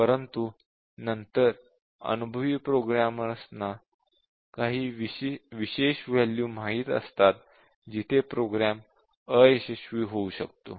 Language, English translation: Marathi, But then experienced programmers they know some special values where a program might fail